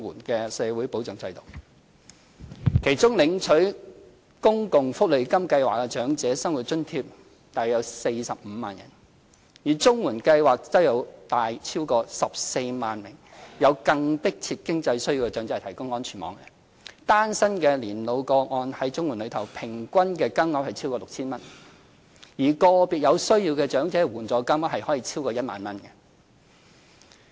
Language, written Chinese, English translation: Cantonese, 其中，約有45萬人在公共福利金計劃下領取長者生活津貼；而綜援計劃則為逾14萬名有更迫切經濟需要的長者提供安全網，單身年老個案在綜援計劃中，平均金額超過 6,000 元，而個別有需要長者的援助金額可超過1萬元。, Among these elderly people around 450 000 of them are recipients of Old Age Living Allowance OALA under the SSA Scheme; and CSSA provides a safety net to more than 140 000 elderly people with more pressing economic needs . For cases of singleton elderly persons they receive a payment of over 6,000 on average under the CSSA Scheme and the allowance can reach more than 10,000 for elderly persons with special needs